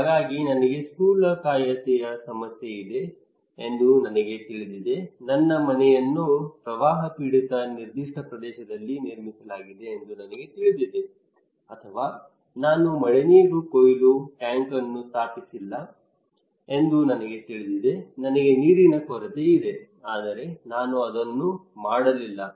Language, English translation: Kannada, So I know I am fat, I have obesity problem, I know my house is built in a particular area that is flood prone or I know that I did not install the rainwater harvesting tank because I have water scarcity problem, but still I did not do it